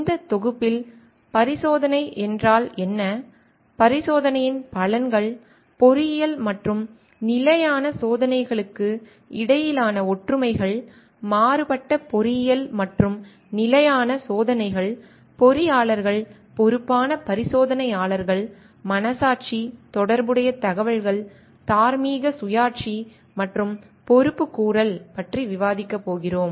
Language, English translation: Tamil, In this module, we are going to discuss about what is experimentation, benefits of experimentation, similarities between engineering and standard experiments, contrasting engineering and standard experiments, engineers as responsible experimenters, conscientiousness, relevant information, moral autonomy and accountability